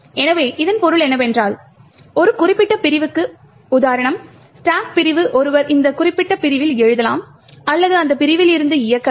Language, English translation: Tamil, So, what this means is that for a particular segment for example the stack segment one can either write to that particular segment or execute from that segment